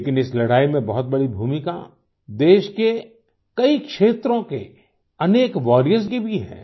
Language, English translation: Hindi, But there also has been a very big role in this fight displayed by many such warriors across the country